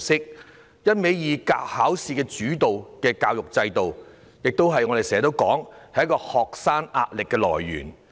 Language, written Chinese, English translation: Cantonese, 正如我們經常說，一味以考試為主導的教育制度，是學生壓力的來源。, The examination - oriented education system as what we often say is a source of stress on students